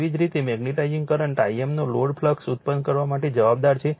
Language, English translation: Gujarati, Similarly magnetize in current I m responsible forproducing no load flux, right